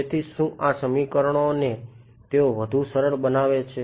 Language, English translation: Gujarati, So, what so, these equations they give further simplify